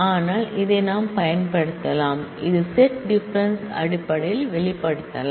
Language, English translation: Tamil, But, can be used because it can be expressed in terms of set difference